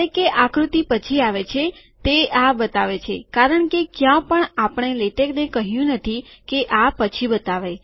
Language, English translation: Gujarati, Although the figure comes later on, it shows this because no where have we told latex to show this later